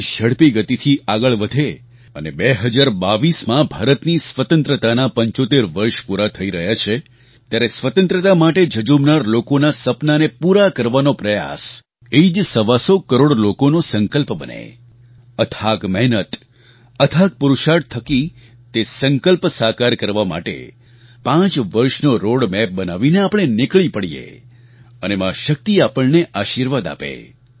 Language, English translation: Gujarati, May the nation move forward and may the year two thousand twenty two 75 years of India's Independence be an attempt to realize the dreams of our freedom fighters, the resolve of 125 crore countrymen, with their tremendous hard work, courage and determination to fulfill our resolve and prepare a roadmap for five years